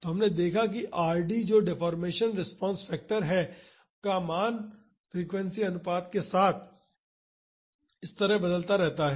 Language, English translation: Hindi, So, we have seen that the value of Rd that is deformation response factor varies like this with frequency ratio